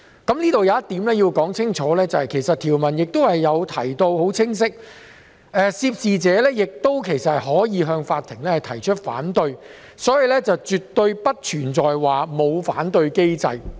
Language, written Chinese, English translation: Cantonese, 我想清楚指出，條文其實已清晰訂明涉事者可向法庭提出反對，所以絕非沒有反對機制。, I would like to clarify that there is a clear provision for the person concerned to lodge an objection to the court . Therefore it is wrong to say that there is no objection mechanism in place